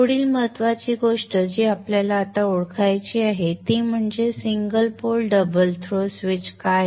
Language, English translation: Marathi, The next important thing that we need to now identify is what is this single pole double throw switch